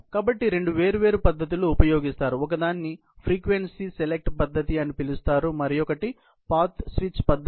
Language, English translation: Telugu, So, there are two different methods, which are used for it; one is called the frequency select method and another is a path switch method